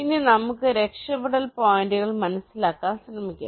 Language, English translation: Malayalam, now let us try to understand the escape points